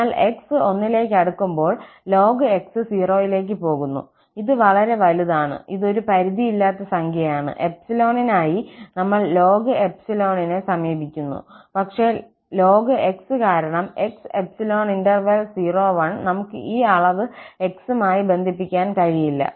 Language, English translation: Malayalam, So, as x go close to 1, ln goes to 0, and this is arbitrarily large, I mean this is an unbounded number, we are approaching now for ln for any given epsilon, but this ln where x is in the interval [0, 1), we cannot bound this quantity ln divided by ln